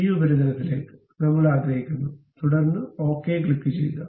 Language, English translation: Malayalam, Up to this surface we would like to have, then click ok